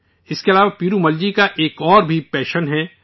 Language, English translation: Urdu, Apart from this, Perumal Ji also has another passion